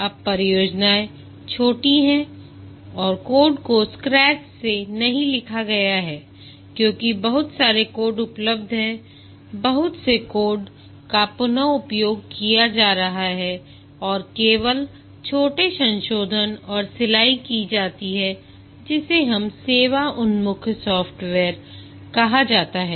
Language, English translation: Hindi, Now the projects are short and the code is not written from scratch because lot of code is available, lot of code is being reused and only small modifications and tailoring is done which we called as service oriented software